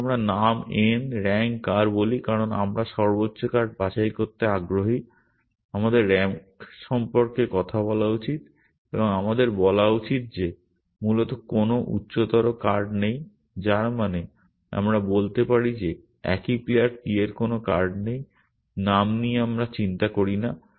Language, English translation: Bengali, Let us say name n and rank r because we are interested in picking the highest card we should talk about the rank and we should say that there is no higher card essentially, which means we can say that there is no card the same player p, name we do not care about